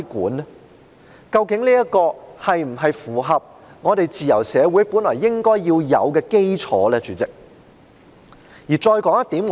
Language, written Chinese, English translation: Cantonese, 主席，究竟這是否符合自由社會本來應該要有的基礎呢？, President is this in keeping with the fundamentals that are inherent to a free society?